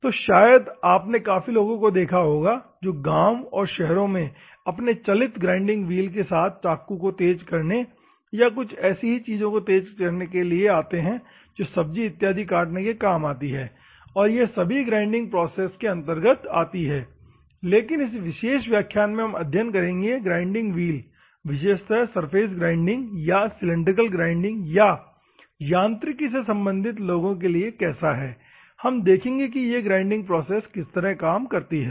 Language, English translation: Hindi, So, you might have seen many people in the villagers or cities they come with their portable grinding wheels to sharpen the knives or to sharpen the some of the utilities where you need to cut the vegetables and all those things also comes under the grinding process, but in this particular class what we are going to study is how a grinding wheel for particularly to the surface grinding or cylindrical grinding or for the mechanical people, how this grinding process works we will see